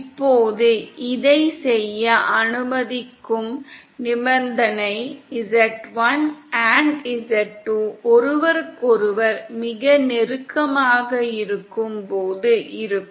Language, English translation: Tamil, Now the condition which allows this to do so is the case when z1 & z2 are very close to each other